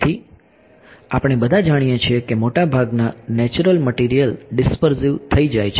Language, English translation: Gujarati, So, we all know that most natural materials are dispersive right